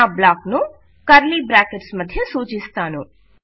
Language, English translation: Telugu, Ill represent my block between curly brackets